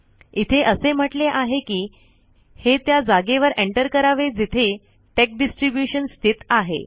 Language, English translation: Marathi, It says, enter the place where the tex distribution is located